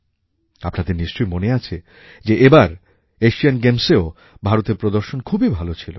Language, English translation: Bengali, You may recall that even, in the recent Asian Games, India's performance was par excellence